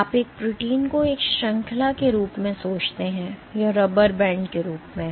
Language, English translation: Hindi, So, you think of a protein as a chain, this as a rubber band